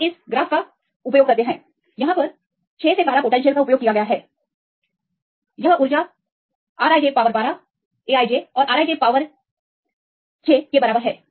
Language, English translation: Hindi, So, we can derive this equation using this graphs; using the 6 12 potential this energy is equal to A i j of the R i j power 12 and B i j by R i j power 6